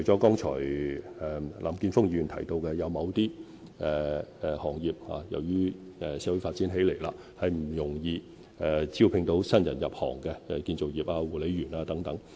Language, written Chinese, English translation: Cantonese, 剛才林健鋒議員提到，由於社會不斷發展，某些行業難以招聘新人入行，例如建造業工人和護理員等。, As mentioned by Mr Jeffrey LAM just now as society continues to grow it is difficult for some industries to recruit new entrants such as construction workers and care workers